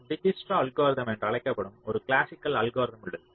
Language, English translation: Tamil, so there is a classical algorithm called dijkstras algorithm